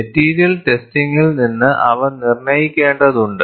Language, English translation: Malayalam, They have to be determined from material testing